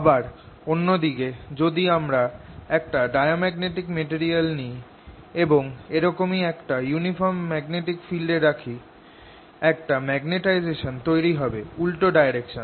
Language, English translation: Bengali, on the other hand, if i look at diamagnetic material and put it in the similar uniform field, it'll develop a magnetizationally opposite direction